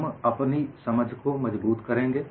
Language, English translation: Hindi, We will reinforce our understanding